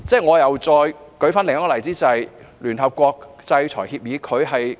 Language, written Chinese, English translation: Cantonese, 我再舉另一個例子，便是聯合國的制裁協議。, Let me cite another example ie . the sanction agreements of the United Nations